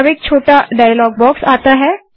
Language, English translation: Hindi, Now a small dialog box comes up